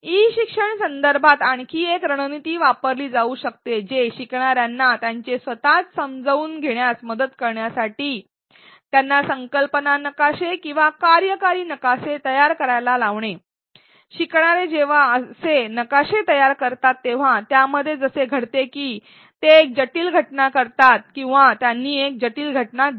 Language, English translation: Marathi, Another strategy that can be used in an e learning context to help learners construct their own understanding is to have them create concept maps or causal maps, one what happens in when learners do these create such maps such diagrams is that they take a complex phenomena or they given a complex phenomena